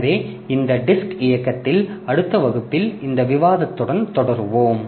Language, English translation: Tamil, So, we'll continue with this discussion in the next class on this disk drive